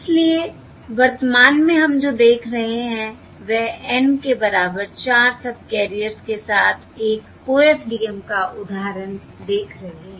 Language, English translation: Hindi, So what we are seeing currently is we are seeing an example of an OFDM with N equal to 4 subcarriers